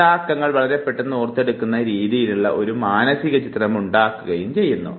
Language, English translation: Malayalam, This creates a mental image which in turn will help you recollect the number very fast